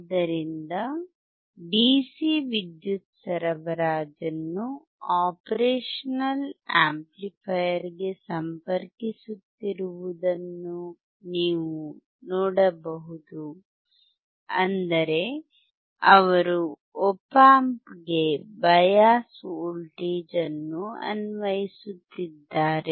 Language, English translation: Kannada, So, you can see he is connecting DC power supply to the operational amplifier; that means, he is applying bias voltage to the op amp